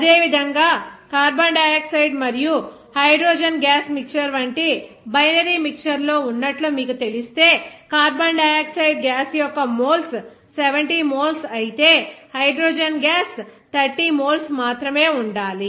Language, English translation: Telugu, Similarly, if you know that in the binary mixture like mixture of carbon dioxide and hydrogen gas, so there if you know that the moles of carbon dioxide gas is 70 moles whereas hydrogen gas is only 30 moles